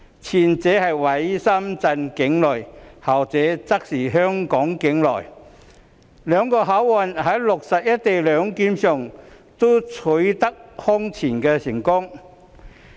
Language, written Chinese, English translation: Cantonese, 前者位於深圳境內，後者則在香港境內，兩個口岸在落實"一地兩檢"上均空前成功。, The former is located in Shenzhen whereas the latter is in Hong Kong . The two land crossings have achieved unprecedented success in the implementation of co - location arrangement